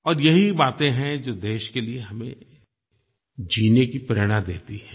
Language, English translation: Hindi, And these are the thoughts that inspire us to live for the country